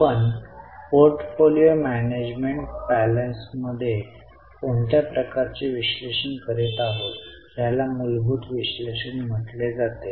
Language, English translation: Marathi, The type of analysis which we are doing in portfolio management parlance, this is known as fundamental analysis